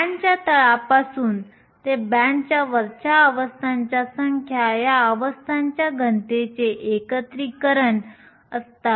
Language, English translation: Marathi, The number of states from the bottom of the band to the top of the band is nothing but an integration of the density of states